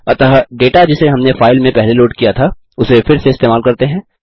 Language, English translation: Hindi, So let us reuse the data we have loaded from the file previously